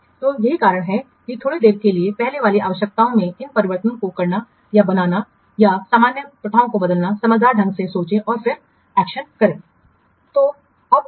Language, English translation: Hindi, So that's why while doing or making these changes in the precedence requirements or changing the normal practices judiciously think and then take the action